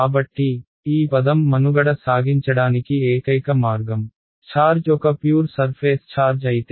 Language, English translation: Telugu, So, the only possible way for this term to survive is if the charge is a pure surface charge